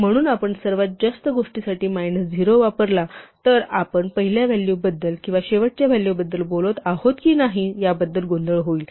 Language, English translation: Marathi, So, if we use minus 0 for the right most thing there would be terrible confusion as to whether we are talking about the first value or the last value